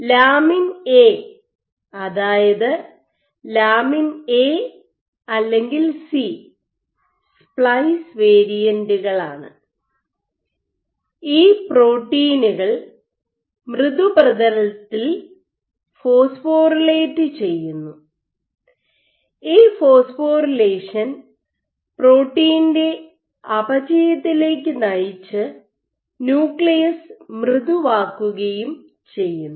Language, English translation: Malayalam, So, lamin A or lamin A/C it is the splice variant gets phosphorylated on software substrates and this phosphorylation leads to degradation of the protein making the nucleus soft